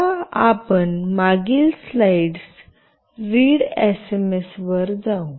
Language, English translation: Marathi, Now, we will go to the previous slide that is readsms